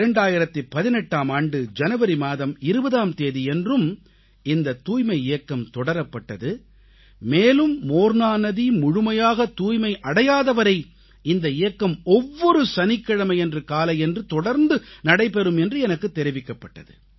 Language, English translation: Tamil, On January 20 th , 2018, this Sanitation Campaign continued in the same vein and I've been told that this campaign will continue every Saturday morning till the Morna river is completely cleaned